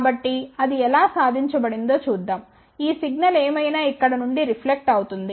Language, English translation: Telugu, So, let's see how that is achieved so, whatever this signal which reflects back from here